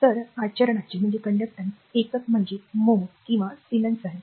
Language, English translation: Marathi, So, the unit of conductance is mho or siemens